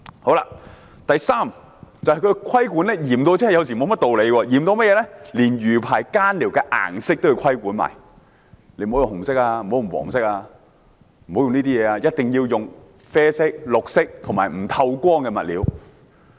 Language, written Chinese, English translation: Cantonese, 此外，我想指出有些規管是嚴厲得沒有甚麼道理的，連魚排上用作更寮的小屋顏色也要規管，不可用紅色，不可用黃色，一定要用啡色、綠色和不透光的物料。, Besides I want to highlight that some regulations are unreasonably strict . One example is the colour of the sheds on mariculture rafts for keeping watch which cannot be red or yellow but must be brown or green . Besides the materials must be light - proof